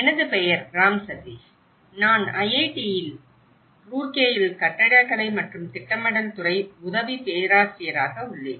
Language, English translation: Tamil, My name is Ram Sateesh; I am an assistant professor in Department of Architecture and Planning, IIT Roorkee